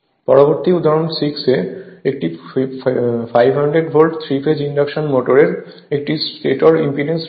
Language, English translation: Bengali, Next is example 6; a 500 volt, 3 phase induction motor has a stator impedance of this much